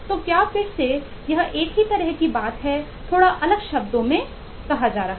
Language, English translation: Hindi, it’s kind of the same thing being said in little bit different terms